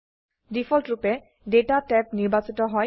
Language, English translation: Assamese, By default, Data tab is selected